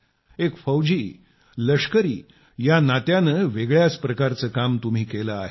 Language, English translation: Marathi, I would like to know as a soldier you have done a different kind of work